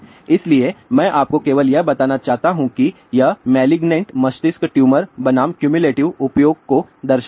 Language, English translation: Hindi, So, I just want to tell you what it shows here malignant brain tumor versus cumulative use